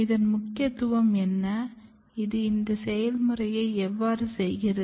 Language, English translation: Tamil, And what is actually it is importance, how it is doing this function